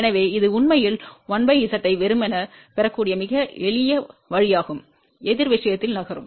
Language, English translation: Tamil, So, it is in fact a one of the very very simple way that you can get a 1 by Z simply by moving in the opposite thing